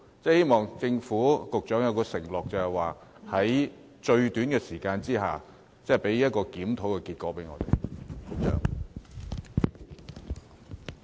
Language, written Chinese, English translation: Cantonese, 希望政府及局長作出承諾，在最短時間內為我們提供檢討結果。, I hope that the Government and the Secretary will promise to tell us the review results as soon as possible